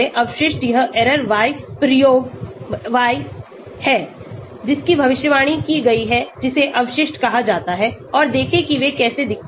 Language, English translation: Hindi, Residual is that error y experiment y predicted that is called residuals and see how they look like